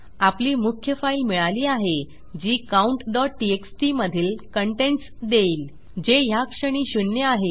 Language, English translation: Marathi, Weve got our main file and thats getting the contents of our count.txt which is zero at the moment